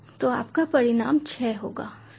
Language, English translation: Hindi, so your result will be six, right, so this is a result